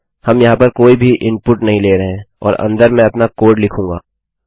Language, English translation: Hindi, Were not taking any input here and inside Ill write my code